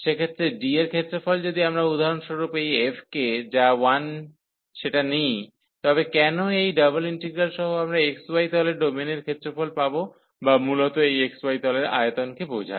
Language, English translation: Bengali, So, in that case the area of D if we for example take this f to be 1, so why with this double integral, we can get the area of the domain in the x, y plane or basically this represents the volume under that surface over the x, y plane well